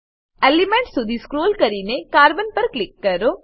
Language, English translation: Gujarati, Scroll down to Element and click on Carbon